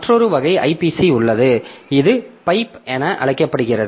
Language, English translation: Tamil, There is another type of IPC which is known as pipe